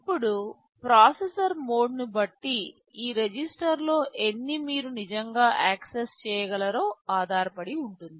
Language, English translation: Telugu, Now, depending on the processor mode, it depends how many of these registers you can actually access